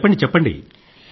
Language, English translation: Telugu, So, tell me